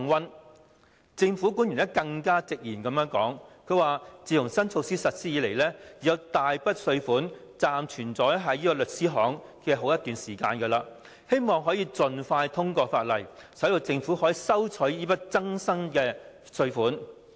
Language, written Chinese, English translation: Cantonese, 有政府官員更直言，自新措施實施以來，已有大筆稅款暫存在律師行內一段時間；他希望可以盡快通過《條例草案》，使政府得以收取這筆新增稅款。, A government official has even made no bones about his hope that the Bill could be expeditiously passed so that the Government would be able to collect the large sum of taxes which had been held by law firms for some time after the introduction of the new measure